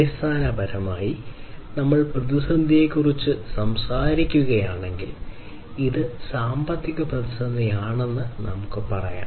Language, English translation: Malayalam, So, basically if we talk about crisis so, let us say that this is the economic crisis